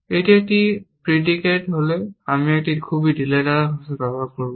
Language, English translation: Bengali, If it is a predicate; I will use very loose language here